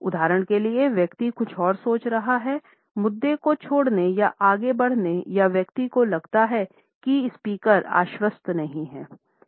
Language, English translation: Hindi, For example, the person may be thinking of something else would like to drop the issue or move on or the person thinks that the speaker is not convincing enough